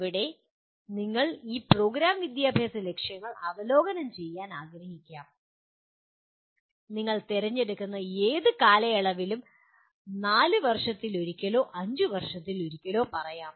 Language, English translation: Malayalam, And here these program educational objectives you may want to review let us say once in four years or once in five years whatever period that you choose